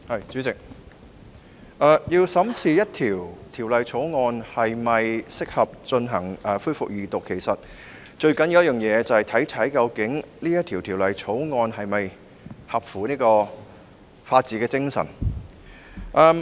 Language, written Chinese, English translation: Cantonese, 主席，要審視一項法案是否適合恢復二讀辯論，其實最重要的一點，就是考慮該法案是否符合法治精神。, President the most important consideration in examining whether a bill is fit for resumption of Second Reading debate is whether the bill is consistent with the spirit of the rule of law